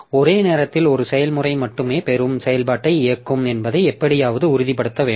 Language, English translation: Tamil, So, we have to somehow ensure that only one process will execute the receive operation at a time